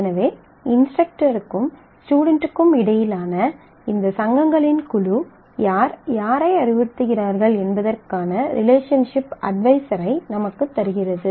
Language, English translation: Tamil, So, this group of associations between instructor and student is the gives me the relationship adviser as to who advises whom